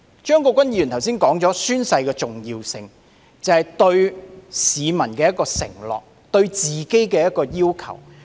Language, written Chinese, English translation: Cantonese, 張國鈞議員剛才提到宣誓的重要性，就是對市民作出承諾和對自己的要求。, Mr CHEUNG Kwok - kwan just now talked about the importance of oath - taking which is indeed an undertaking made to the public and a requirement of ourselves